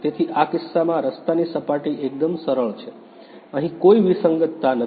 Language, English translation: Gujarati, So, in this case the road surface totally smooth, there is no anomaly over here